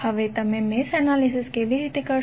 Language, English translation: Gujarati, Now, how you will do the mesh analysis